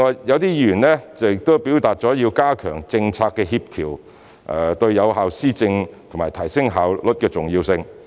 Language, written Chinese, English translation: Cantonese, 一些議員提到加強政策協調對有效施政及提升效率的重要性。, Some Members mentioned the importance of strengthening policy coordination to effective governance and high efficiency